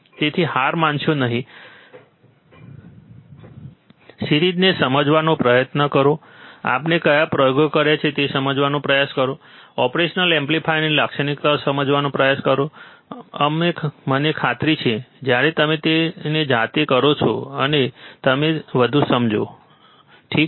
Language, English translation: Gujarati, So, do not give up, try to understand the series, try to understand what experiments we have done, try to understand the characteristics of the operational amplifier, and I am sure that you will understand more when you do it by yourself, alright